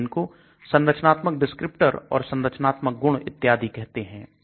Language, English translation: Hindi, We call it structural descriptors or structural features and so on